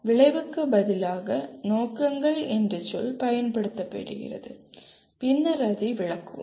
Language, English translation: Tamil, The word objective is used instead of outcome, we will explain it later